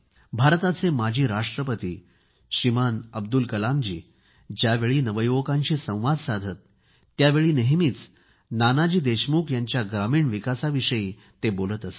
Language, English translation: Marathi, India's former President Shriman Abdul Kalamji used to speak of Nanaji's contribution in rural development while talking to the youth